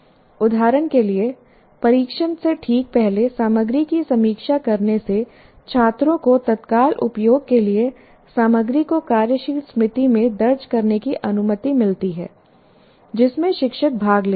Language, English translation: Hindi, For example, reviewing the material just before test allows students to enter the material into working memory for immediate use